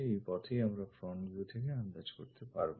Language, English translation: Bengali, This is the way we may be guessing from front view